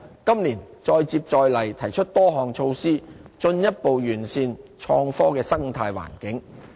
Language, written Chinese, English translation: Cantonese, 今年再接再厲，提出多項措施，進一步完善創科的生態環境。, This year we will keep it up and propose numerous measures to further optimize an atmosphere favourable for innovation and technology